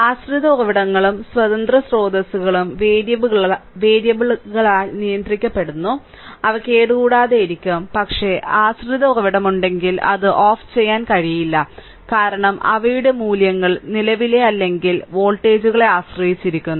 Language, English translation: Malayalam, Dependent sources and dependent sources are controlled by variables and hence they are left intact so, but if dependent source are there, you just cannot turned it off right because their values are dependent on the what you call current or voltages right